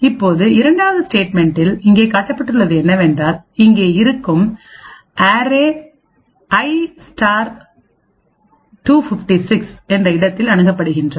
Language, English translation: Tamil, Now in the second statement an array which is present over here is accessed at a location i * 256